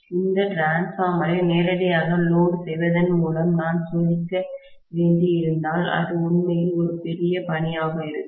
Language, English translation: Tamil, And if have to test this transformer directly by loading it, it will be really really a monumental task